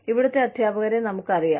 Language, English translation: Malayalam, We know the teachers